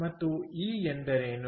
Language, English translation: Kannada, and what is e